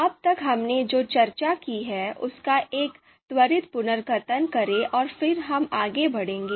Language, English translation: Hindi, So let us do a quick recap of what we have discussed till now and then we will move forward